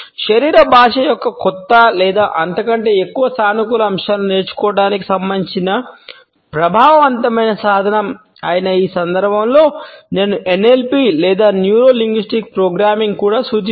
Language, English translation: Telugu, I would also refer to NLP or Neuro Linguistic Programming in this context which is an effective tool as for as learning new or more positive aspects of body language is concerned